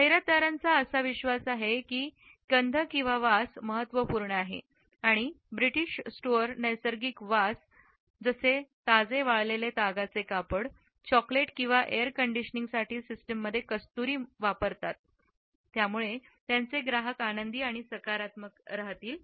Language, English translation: Marathi, Advertisers also believe that smell is important and British stores use natural smells such as that of freshly dried linen, chocolate or musk in the air conditioning systems to put customers in a happy and positive frame